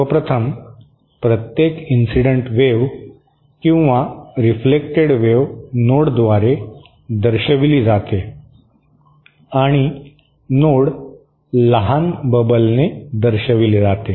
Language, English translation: Marathi, 1st of all, every incident or reflected wave is represented by a node and the note is represented by a small bubble